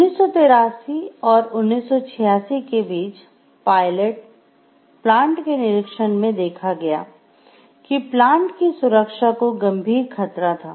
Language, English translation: Hindi, Between 1983 and 1986, inspections at the pilot plant indicated that there were serious safety hazards